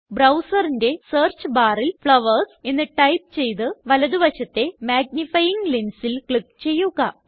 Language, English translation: Malayalam, In the browsers Search bar, type flowers and click the magnifying lens to the right